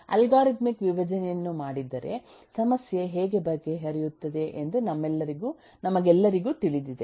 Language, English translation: Kannada, if have done an algorithmic decomposition, then we all know how the problem get solved